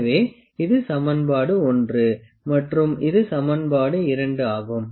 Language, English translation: Tamil, So, this is equation 1 and this is equation 2